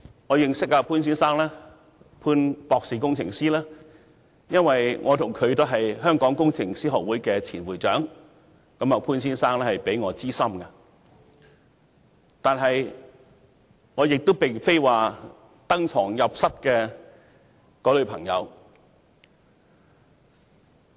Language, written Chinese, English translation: Cantonese, 我認識潘先生，或潘博士工程師，是因為我和他都是香港工程師學會的前會長，潘先生比我資深，但我並非他登堂入室的朋友。, I know Mr POON or Ir Dr POON because both he and I are former Presidents of the Hong Kong Institution of Engineers and Mr POON is my senior in the profession but I am not one of his intimate friends who have visited his home